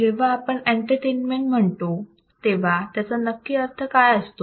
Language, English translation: Marathi, When say entertainment what does entertainment means